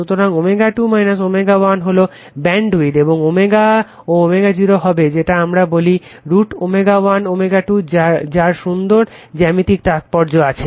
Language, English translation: Bengali, So, omega 2 minus omega 1 is the bandwidth and omega and omega 0 will be what your we call root over omega 1 omega 2 very geometric meaning right